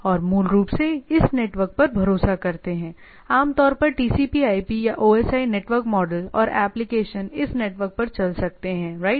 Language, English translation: Hindi, And basically rely on this network typically TCP/IP or OSI or network models and the application can run over the this network, right